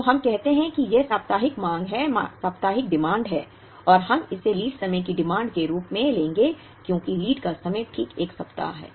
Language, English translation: Hindi, So, let us say this is the weekly demand and we will take this as lead time demand because lead time is exactly 1 week